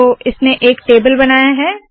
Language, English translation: Hindi, So it has created the table